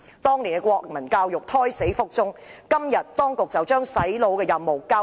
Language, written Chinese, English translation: Cantonese, 當年國民教育科胎死腹中，當局如今便把"洗腦"的任務交給中史科。, In the wake of the previous abortion of the Moral and National Education the Administration is now passing on the brainwashing mission to the subject of Chinese history